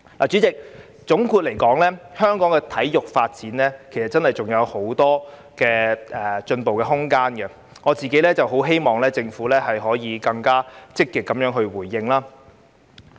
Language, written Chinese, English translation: Cantonese, 主席，總括而言，香港的體育發展真的還有很多進步空間，我很希望政府可以更積極回應。, President in conclusion the sports development in Hong Kong really still has a lot of room for improvement . I very much hope that the Government will respond more actively